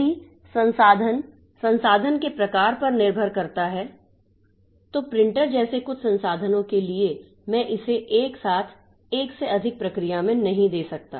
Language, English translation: Hindi, If the resource, depending on the type of resource for some of the resources like printer, I cannot give it simultaneously to more than one process